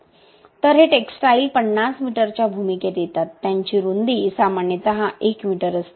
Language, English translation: Marathi, So, these textiles come in a role of 50 meters, usually have a width of 1 meter